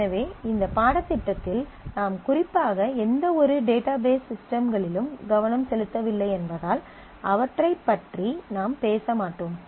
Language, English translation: Tamil, So, at this level of the course since we are not focusing particularly on any specific database systems, we will not talk about those